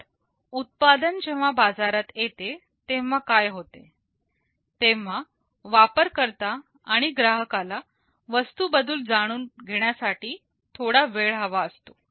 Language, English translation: Marathi, So, what happens when a product comes to the market, well the users or the customers need some time to learn about the product